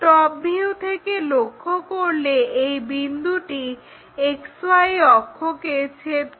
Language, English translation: Bengali, And when we are looking from top view, this point is intersecting with XY axis, so we will see it on XY axis